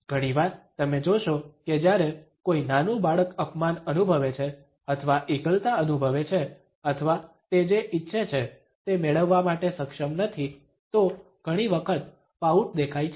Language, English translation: Gujarati, Often you would find that when a young child feels insulted or feels isolated or is not able to get what she had desired, then often the pout is visible